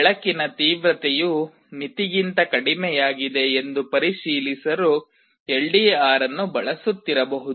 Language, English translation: Kannada, ou may be using the LDR to check whether the light intensity has fallen below a threshold